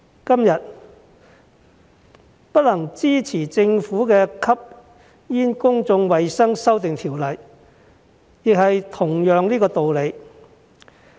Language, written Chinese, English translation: Cantonese, 今天不能支持政府的《2019年吸煙條例草案》，亦是同樣的道理。, Today for the same reason I cannot support the Governments Smoking Amendment Bill 2019 the Bill